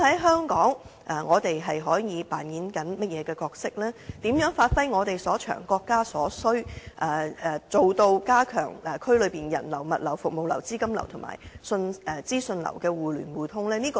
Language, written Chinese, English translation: Cantonese, 香港又可以擔當甚麼角色，以及如何發揮我們所長，配合國家所需，加強區內人流、物流、服務流、資金流和資訊流的互聯互通呢？, What role can Hong Kong play? . And how can we give play to our advantages and in the light of the needs of the country strengthen the mutual access and flow of people goods services capital and information in the region?